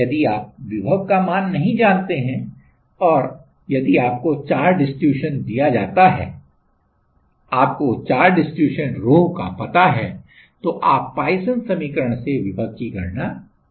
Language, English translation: Hindi, If you do not know the potential, if you are given the charge distribution there is you know the rho then you can calculate the potential from their Poisson equation